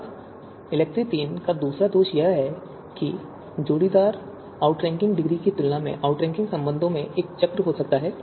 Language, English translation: Hindi, Now second drawback of ELECTRE third is that comparison of pairwise outranking degrees might lead to cycles in outranking relations